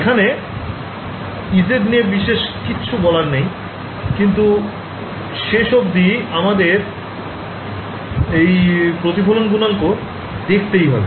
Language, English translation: Bengali, Now once, but I have not said anything about e z right now the final thing that is left is to look at the reflection coefficient